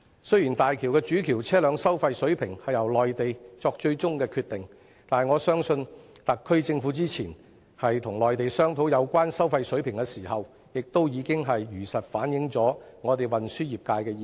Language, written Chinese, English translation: Cantonese, 雖然大橋主橋的車輛收費水平最終由內地決定，但我相信特區政府之前與內地商討有關收費水平時，已經如實反映運輸業界的意見。, Although the Mainland will have the final say on the toll levels of the HZMB Main Bridge I believe the Hong Kong Special Administrative Region has already conveyed the views of the transport trade during previous discussions with the Mainland on the toll levels